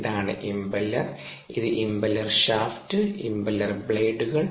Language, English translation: Malayalam, this is the impeller and this is ah impeller shaft, impeller blades